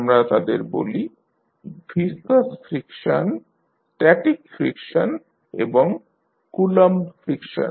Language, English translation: Bengali, We call them viscous friction, static friction and Coulomb friction